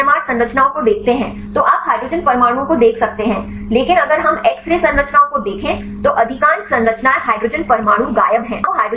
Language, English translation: Hindi, If you see the NMR structures you can see the hydrogen atoms, but if we look into the x ray structures, most of the structures the hydrogen atoms are missing